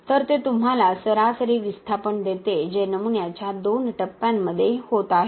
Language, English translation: Marathi, So, it gives you an average displacement that is happening in the two phases of the specimen